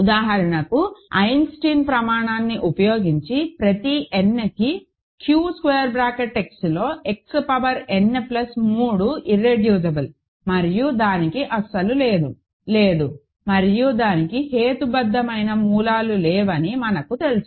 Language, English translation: Telugu, Using Eisenstein criterion for example, we know that X power n plus 3 is irreducible in Q X for every n and it has no real, no and it has no rational roots